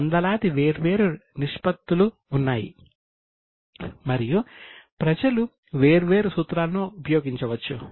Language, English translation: Telugu, So, we have got hundreds of different ratios and people can use different formulas